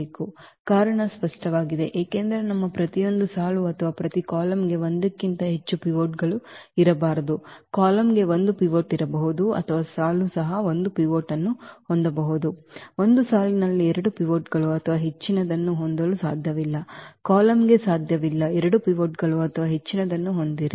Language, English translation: Kannada, The reason is clear because our each row or each column cannot have more than one pivot, the column can have at most one pivot or the row also it can have at most one pivot, one row cannot have a two pivots or more, column cannot have a two pivots or more